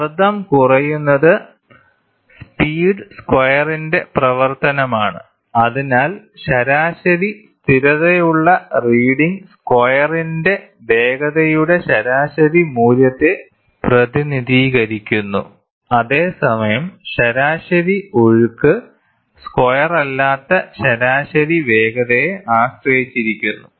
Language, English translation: Malayalam, The pressure drop is the function of speed squared; hence, a mean steady reading represents a mean value of the speed squared while the average flow depends on the mean speed not squared